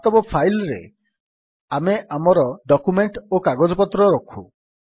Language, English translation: Odia, In real file a file is where we store our documents and papers